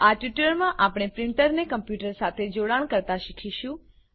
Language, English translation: Gujarati, In this tutorial, we will learn to connect a printer to a computer